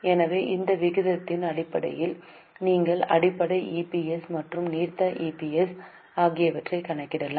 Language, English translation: Tamil, So, based on this ratio you can calculate the basic EPS and diluted APS